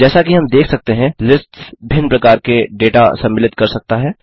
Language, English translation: Hindi, As we can see, lists can contain different kinds of data